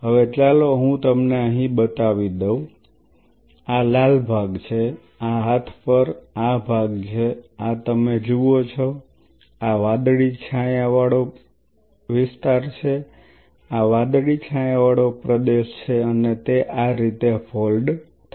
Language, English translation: Gujarati, Now, let me just show you out here, let me this is the red part like this and this, this part on the arm this is what you see this is the blue shaded region one second, this is the blue shaded region and it folds like this